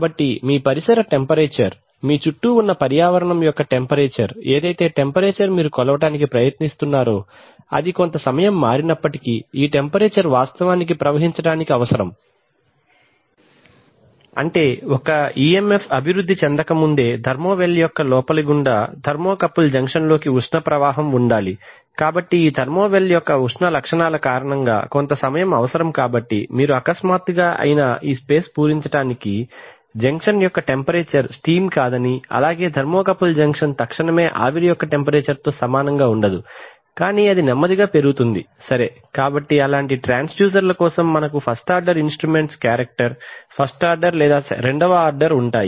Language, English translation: Telugu, So it is actually put inside a tube, so you can imagine that even if there Is a temperature change outside the tube which is called a thermo well so it is a tube inside that you have the thermocouple so even if your ambient temperature, your environment temperature which you are trying to sense even if it changes some time will be required for this temperature to actually flow through the, That is, there has to be heat flow through the insides of the thermo well into the thermocouple Junction before an EMF can be developed, so because of the thermal properties of this thermo well there is going to be some time required so even if you suddenly fill this space with let us say steam the temperature of the junction will not, junction of thermocouple will not instantaneously be equal to the temperature of the steam but it will slowly rise, right